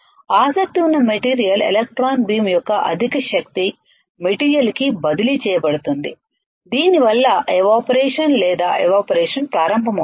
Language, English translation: Telugu, Material of interest the high energy of electron beam is transferred to the material which causes is to start evaporation or evaporating